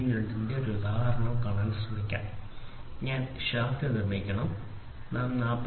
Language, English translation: Malayalam, 02 I have to produce the shaft, I have to produce the shaft for 40